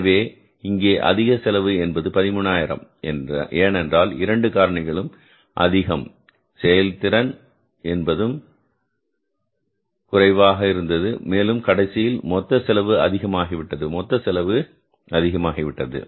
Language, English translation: Tamil, So here in this case, extra cost of labor by some of rupees 13,000 has been because of both the factors, labor rate is also higher, labor efficiency is also less and finally the total cost has gone up, labor cost has gone up